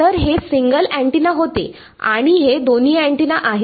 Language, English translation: Marathi, So, this was a single antenna and this is both antennas